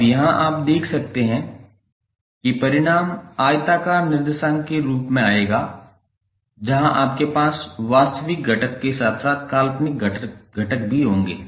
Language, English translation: Hindi, Now, here you can see that the result would come in the form of rectangular coordinate where you will have real component as well as imaginary component